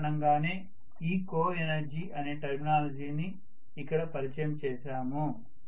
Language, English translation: Telugu, That is the reason why I have introduced this particular terminology of coenergy, right